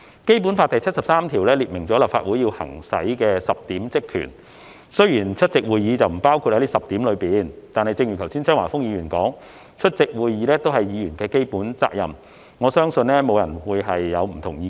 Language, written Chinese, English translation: Cantonese, 《基本法》第七十三條列明立法會行使的10項職權，雖然出席會議並不包括在這10項內，但正如剛才張華峰議員說，出席會議是議員的基本責任，我相信沒有人會有不同意見。, Article 73 of the Basic Law sets out the 10 functions to be exercised by the Legislative Council . Although attendance at meetings is not included in the 10 functions I believe no one will disagree that it is the fundamental duty of Members as pointed out by Mr Christopher CHEUNG just now